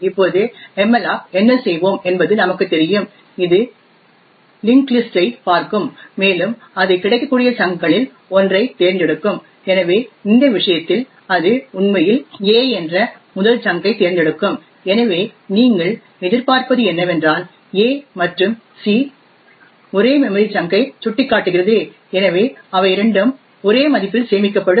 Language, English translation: Tamil, Now as we know what malloc would do is that it would look into the link list and it would pick one of the chunks which is available, so in this case it would actually pick the first chunk which is a and thus what you would see and what is expected is that a as well as c would point to the same memory chunk, so both of them would have the same value stored in them